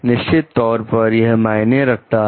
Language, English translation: Hindi, Definitely, it matters